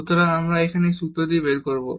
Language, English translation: Bengali, So, we will derive this formula now